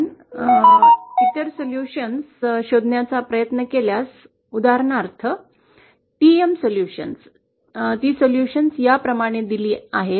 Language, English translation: Marathi, If we try to find out the other solutions, for example the TM solutions, the solutions are given like this